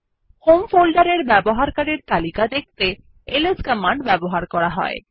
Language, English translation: Bengali, To show the list of users in the home folder ls command is used